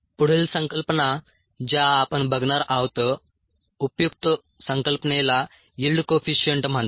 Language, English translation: Marathi, the next concept that we are going to look at useful concept is called the yield coefficient